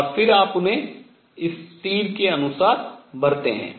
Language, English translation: Hindi, And then you fill them according to this arrow